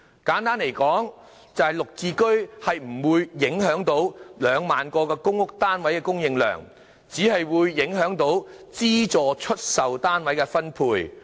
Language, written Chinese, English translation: Cantonese, 簡單說，就是"綠置居"不會影響2萬個公屋單位的供應量，只會影響資助出售單位的分配。, Simply put GSH would not affect the supply of 20 000 PRH units but only the quota of subsidized sale flats